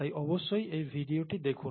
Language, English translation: Bengali, So please take a look at this video